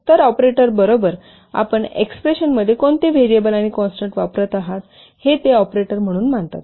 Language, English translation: Marathi, So, the operands are those variables and the constants which are being used in operators in expression